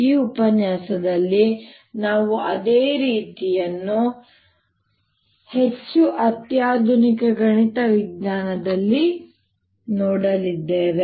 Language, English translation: Kannada, in this lecture we are going to see the same treatment in a more sophisticated mathematical method